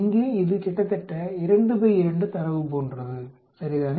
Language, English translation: Tamil, Here it is almost like a 2 by 2 data, right